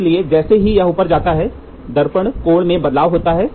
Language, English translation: Hindi, So, once this moves up, there is a change in the mirror angle